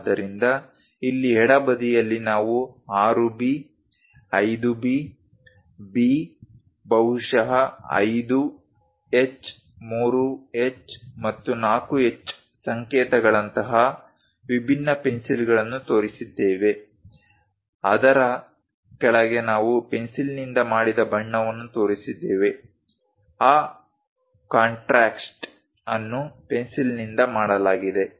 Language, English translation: Kannada, So, here on the left hand side, we have shown different pencils like 6B, 5B, B, maybe 5H, 3H, and 4H notations; below that we have shown the color made by the pencil, the contrast made by that pencil